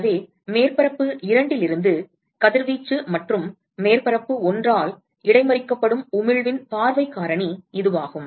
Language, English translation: Tamil, So, that is the view factor of emission that is radiated from surface two and as intercepted by surface one